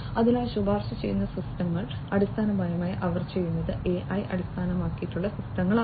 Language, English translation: Malayalam, So, recommender systems basically what they do these are also AI based systems